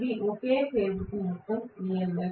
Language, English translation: Telugu, This is the total EMF per phase